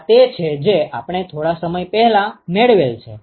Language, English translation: Gujarati, This is what we derived a short while ago